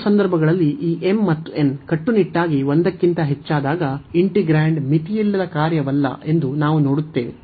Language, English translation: Kannada, So, in both the cases this when this m and n are strictly greater than 1, we see that the integrand is not unbounded function